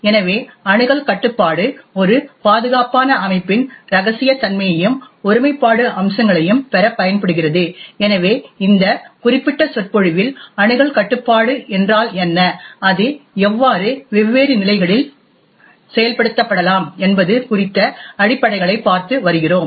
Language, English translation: Tamil, So, the access control is used to obtain the confidentiality and the integrity aspects of a secure system, so in this particular lecture we have been looking at fundamentals about what access control is and how it can be implemented at different levels